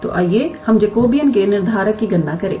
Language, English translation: Hindi, So, let us calculate the Jacobean determinant